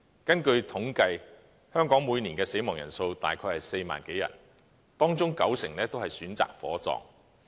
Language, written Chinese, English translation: Cantonese, 根據統計，香港每年的死亡人數大約為4萬多人，當中九成都是選擇火葬。, According to statistics the number of deaths in Hong Kong is around 40 000 every year and 90 % of the deceased will be cremated